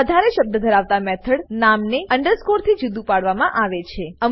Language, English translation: Gujarati, A multiword method name is separated with an underscore